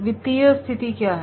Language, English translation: Hindi, What is the financial condition